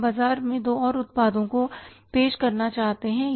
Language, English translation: Hindi, We want to introduce two more products in the market